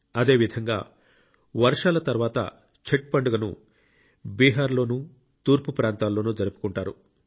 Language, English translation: Telugu, On similar lines, after the rains, in Bihar and other regions of the East, the great festival of Chhatth is celebrated